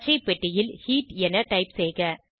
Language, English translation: Tamil, Type Heat in the green box